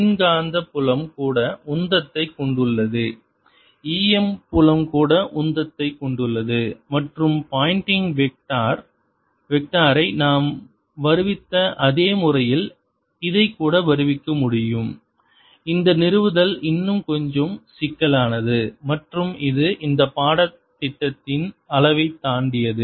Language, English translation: Tamil, introduce now, electromagnetic field also carries momentum, e, m filed also carries momentum, and this can also be derived exactly in the same manner as we derived the pointing vector, except that the derivation is a little more complicated and slightly beyond the level of this course